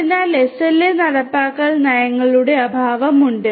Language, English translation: Malayalam, So, there is lack of SLA enforcement policies